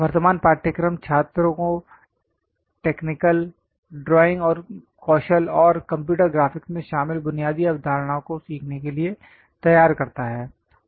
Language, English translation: Hindi, The present course prepares the students to learn the basic concepts involved in technical drawing skills and computer graphics